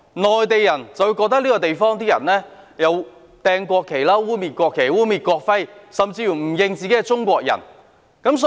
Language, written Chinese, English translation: Cantonese, 內地人則覺得這個地方的人扔擲和污衊國旗、污衊國徽，甚至不承認自己是中國人。, Mainlanders find that the people in this place would dump and defile the national flag and desecrate the national emblem as well as even refuse to admit that they are Chinese